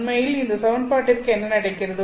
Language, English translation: Tamil, So, this is all the equation that is there